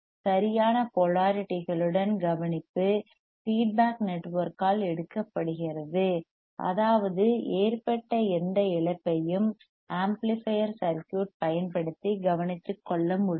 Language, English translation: Tamil, ; tThe care of the proper polarities is taken by the feedback network; that means, that whatever the whatever, any the loss that was there that can be that can be taken care of by using the amplifier circuit right by using the amplifier circuit